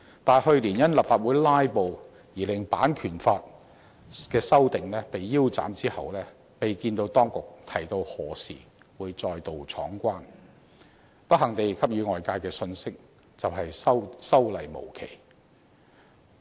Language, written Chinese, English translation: Cantonese, 但去年因立法會"拉布"而令版權法的修訂被腰斬，其後未見到當局提及何時會再度闖關，給予外界的信息是修例無期，十分不幸。, But the amendment of copyright legislation last year was halted abruptly due to a filibuster in the Legislative Council . Subsequent to that the authorities have not provided a date for putting forward the amendment proposals again thus giving people an unfortunate signal that the relevant legislation is not going to be revised any time soon